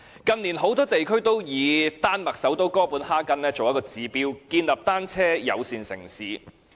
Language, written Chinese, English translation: Cantonese, 近年，很多地區都以丹麥首都哥本哈根作指標，建立單車友善城市。, In recent years many regions have used Copenhagen the capital of Denmark as a benchmark to build bicycle - friendly cities